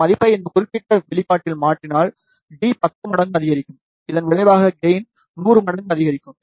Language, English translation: Tamil, If we substitute this value in this particular expression, d will increase by 10 times, resulting into gain increase of 100 time